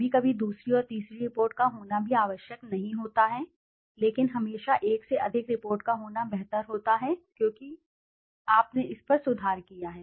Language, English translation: Hindi, Sometimes it is not necessary to have a second and third report also but it is better to have always more than one report because it is always you have improved up on it